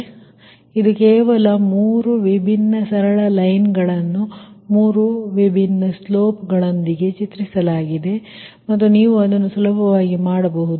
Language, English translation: Kannada, three different straight lines have been drawn with three different slopes, right, and that you can easily make it